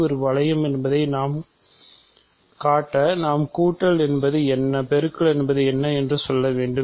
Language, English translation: Tamil, So, in order to show that end G is a ring we need to say what is addition, what is multiplication